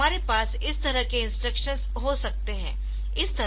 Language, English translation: Hindi, So, this way we can have this instruction